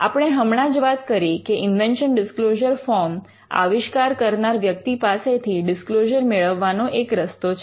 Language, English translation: Gujarati, We had just mentioned that, invention disclosure form is one way in which you can capture the disclosure from an inventor